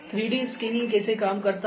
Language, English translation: Hindi, So, How does 3D scanning works